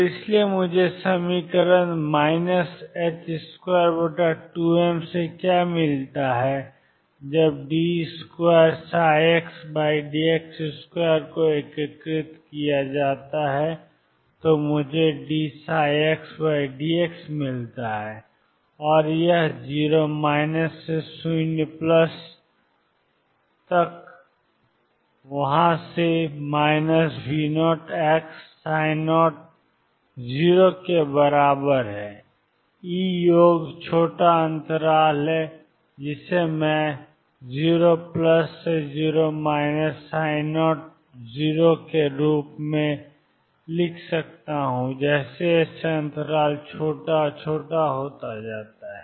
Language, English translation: Hindi, So, therefore, what do I get from the equation minus h cross square over 2 m when d 2 psi over d d x square is integrated I get d psi d psi by d x and this is from 0 minus to 0 plus minus V 0 psi 0 is equal to E sum is small interval which I can write as 0 plus minus 0 minus psi at 0 as the interval is made smaller and smaller